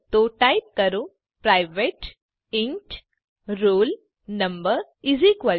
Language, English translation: Gujarati, So type private int roll no=50